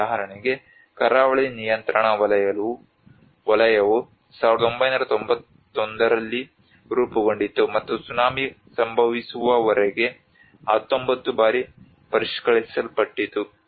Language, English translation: Kannada, For example, the coastal regulation zone which was formed in 1991 and revised 19 times until the tsunami have struck